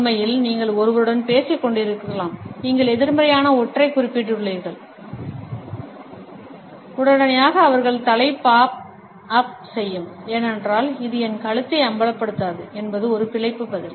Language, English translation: Tamil, In fact, you can be talking to someone and you mentioned something negative and immediately their head will pop up, because it is a survival response that I will not expose my neck